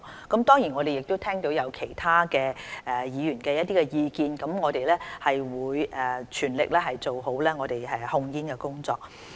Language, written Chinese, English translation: Cantonese, 我們當然亦聽到其他議員的意見，會全力做好控煙工作。, We of course have listened to the comments made by other Members and will spare no efforts in tobacco control